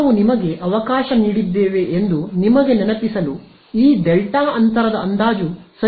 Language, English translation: Kannada, We just to remind you we had let us let us check this delta gap approximation right